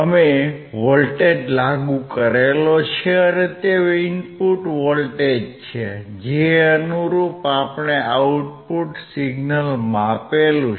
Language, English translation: Gujarati, We have applied the voltage and corresponding to the input voltage, we have measured the output signal